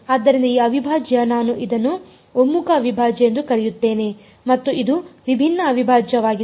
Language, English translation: Kannada, So, this integral I will call it a convergent integral and this is a divergent integral